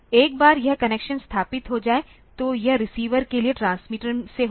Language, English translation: Hindi, Once this connection is established; so, it will the transmitter to receiver